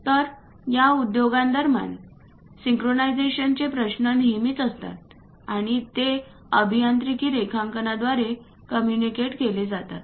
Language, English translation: Marathi, So, synchronization issues always be there in between these industries and that will be communicated through engineering drawings